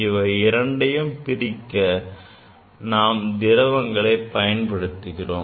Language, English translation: Tamil, To keep them separate we use liquid